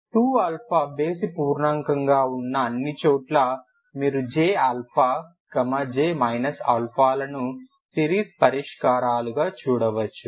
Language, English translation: Telugu, That is where 2 odd integer this is the case you could see that j alpha j minus alpha as series solutions